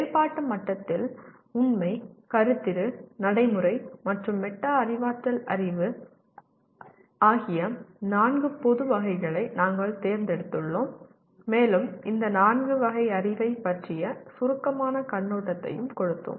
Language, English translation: Tamil, At operative level, we have selected four general categories of knowledge namely Factual, Conceptual, Procedural, and Metacognitive knowledge and we gave a brief overview of these four categories of knowledge